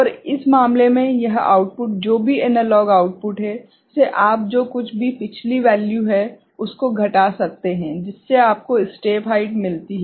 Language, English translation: Hindi, And in this case, this output whatever analog output, you can see minus the previous value whatever, so that gives you the step height